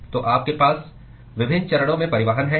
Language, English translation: Hindi, So you have transport across different phases